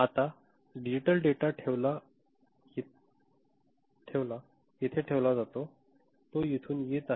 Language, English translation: Marathi, Now, the digital data is put, is coming over here right